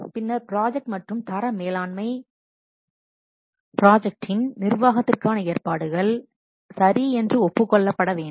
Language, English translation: Tamil, Then project and quality management, the arrangements for the management of the project must be agreed, okay